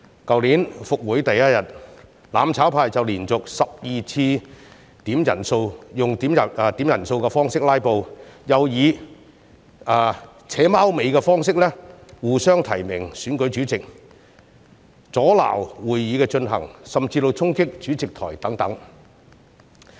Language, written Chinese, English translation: Cantonese, 去年復會第一天，"攬炒派"就連續12次點算法定人數，用點算人數的方式"拉布"，又以"扯貓尾"的方式，互相提名選舉主席，阻撓會議進行，甚至衝擊主席台等。, On the first meeting of the current session last year the mutual destruction camp made 12 consecutive quorum calls . They tried to filibuster the proceeding by calling for headcounts . They even collaborated with each other by nominating each other in the election of Chairman